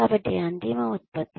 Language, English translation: Telugu, So, the ultimate output